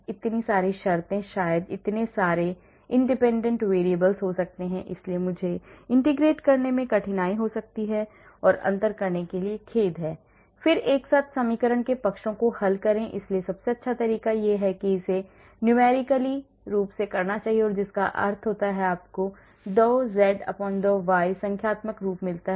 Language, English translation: Hindi, so many terms maybe there are so many independent variables maybe there so it may be difficult to integrate I am sorry to differentiate, and then solve the sides of simultaneous equation so best approach is to do it numerically that means you get the dou z/ dou x numerically dou z/dou y numerically and then try to calculate the values where the function will be minimum